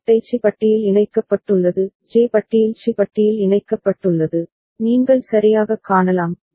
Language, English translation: Tamil, JA is connected to C bar; JA is connected to C bar, you can see right